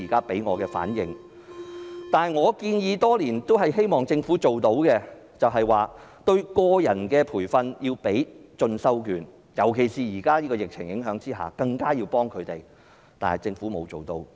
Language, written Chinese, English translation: Cantonese, 另外，我已向政府建議多年，加強對個人的培訓，提供進修券，尤其是在現時的疫情影響下，更應向他們提供協助，但政府卻未有落實。, Furthermore I have been proposing to the Government for years for stepping up personal training and providing continuing education vouchers . In particular due to the impact of the current epidemic employees should be given more assistance . However the Government has not taken the proposal on board yet